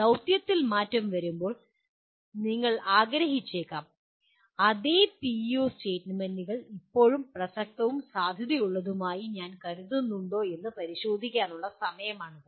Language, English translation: Malayalam, When the mission gets altered, you may want to, that is the time also to take a look at whether same PEO statements are still I consider relevant and valid